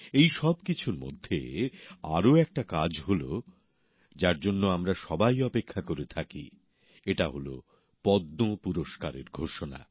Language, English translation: Bengali, Amidst all of this, there was one more happening that is keenly awaited by all of us that is the announcement of the Padma Awards